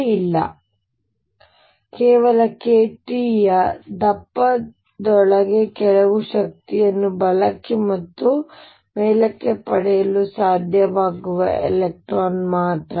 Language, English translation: Kannada, So, all these cannot move up, only electron that can gains gain some energies right or top within a thickness of k t